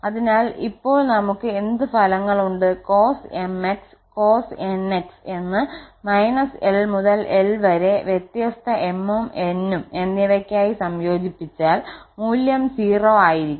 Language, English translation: Malayalam, So, and what results we have now it is if minus l to l we integrate the cos mx and the cos nx so for different m and n then the value will be 0